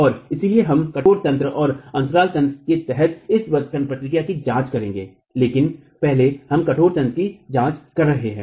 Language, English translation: Hindi, And so we will examine this arching action under rigid mechanism and the gap mechanism but first we are examining the rigid mechanism